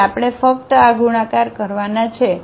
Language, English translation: Gujarati, So, we have to only do these multiplications